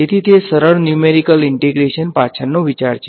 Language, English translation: Gujarati, So, that is the idea behind simple numerical integration